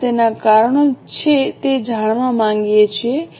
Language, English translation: Gujarati, We would like to know its causes